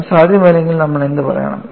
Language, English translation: Malayalam, If it is not possible, what should we say